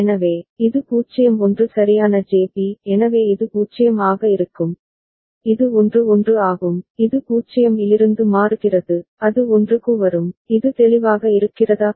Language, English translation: Tamil, So, this is 0 1 right JB so it will remain at 0, and this is 1 1, it will toggle from 0, it will come to 1, is it clear